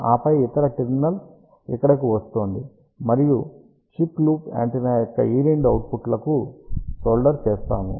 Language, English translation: Telugu, And then this other terminal is coming over here, and the chip is sold at to these two output of the loop antenna